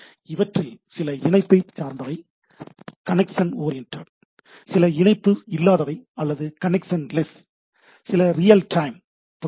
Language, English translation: Tamil, We will see that some are connection oriented, some are connectionless, some are real time protocol and so and so forth